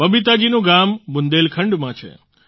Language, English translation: Gujarati, Babita ji's village is in Bundelkhand